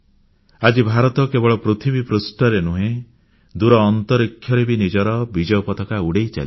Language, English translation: Odia, Today, India's flag is flying high not only on earth but also in space